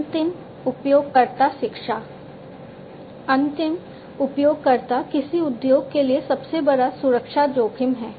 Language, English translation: Hindi, End user education, end users are the biggest security risks for an industry